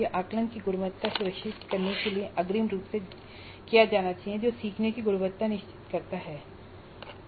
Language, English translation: Hindi, This must be done upfront to ensure quality of assessment which ensures quality of learning, creating the item bank